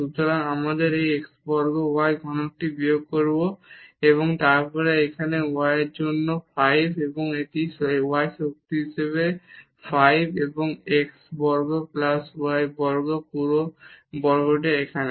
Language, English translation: Bengali, So, we will get minus this x square y cube and then here y for 5, this is y power 5 here and x square plus y square whole square this is here